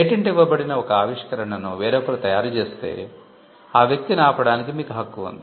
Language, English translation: Telugu, If somebody else sells a invention that is covered by a patent you have a right to stop that person